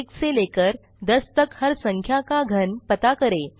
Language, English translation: Hindi, Find the cube of all the numbers from one to ten